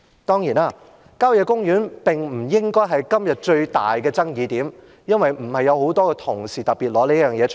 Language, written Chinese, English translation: Cantonese, 當然，郊野公園不應成為今天最大的爭議點，因為不是有很多同事特別就此事發言。, Of course country parks should not be the main point of contention today as they have not been particularly mentioned by many colleagues